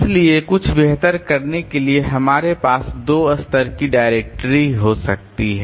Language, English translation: Hindi, So, to do something better we can have two level directory